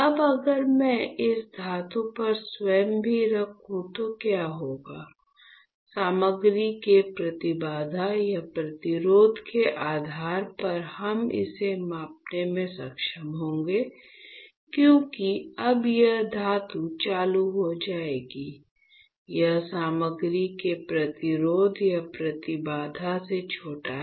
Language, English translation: Hindi, Now, if I place anything on this metal what will happen, depending on the impedance or resistance of the material we will be able to measure it; because now this metal will start it is shorted with the resistance or impedance of the material, is not it